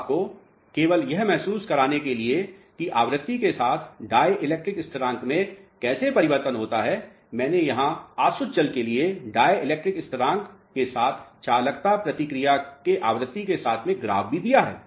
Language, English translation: Hindi, Now, just to give you a feel of how dielectric constant changes with respect to the frequency, I have plotted here distilled water response for dielectric constant as well as conductive with respect to frequency